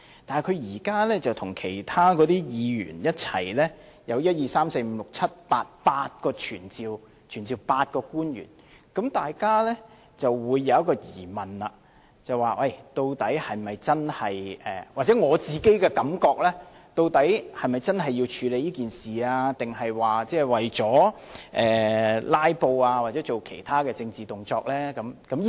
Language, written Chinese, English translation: Cantonese, 但是，他現在與其他議員一起提出8項議案，要求傳召8位官員，大家便會有一個疑問——或許這只是我的感覺——究竟他是否真的要處理這件事，還是為了"拉布"或做其他政治動作呢？, Nevertheless now that he and other Members propose eight motions together asking to summon eight public officers we may have a query―perhaps this is only my own thinking―of whether he really means to deal with this matter or is doing this for filibustering or other political purpose